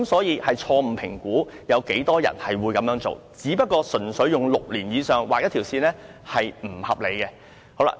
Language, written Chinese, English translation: Cantonese, 因此，政府錯誤評估有多少人會這樣做，純粹用6年以上來劃線，是不合理的。, There are many such vehicles . The Government has wrongly estimated the number of people who will participate in the scheme . Drawing the line at six years is unreasonable